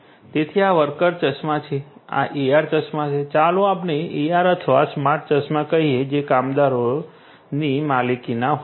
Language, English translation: Gujarati, So, these are the worker glasses, these are the AR glasses, let us say AR or smart glasses which could be owned by the workers